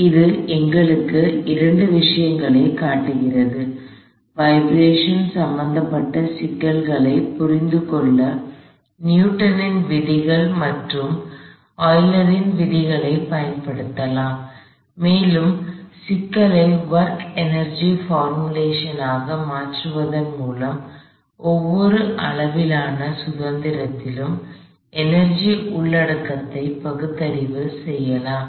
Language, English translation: Tamil, So, this shows us two things, one you can use Newton's laws as well as Euler's laws to understand problems involving vibrations and you can also rationalize the energy content in each degree of freedom by converting the problem to work energy kind of formulation